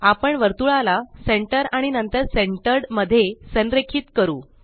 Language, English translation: Marathi, We shall align the circle to Centre and then to Centered